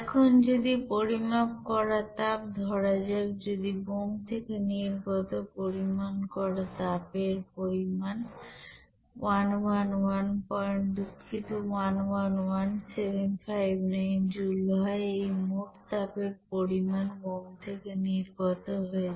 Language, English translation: Bengali, Now if the measured heat, let us considered that if the measured you know heat evolved from the bomb was 111 point sorry 111759 joule, this total amount of this heat is evolved from the bomb